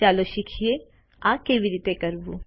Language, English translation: Gujarati, Let us now learn how to do this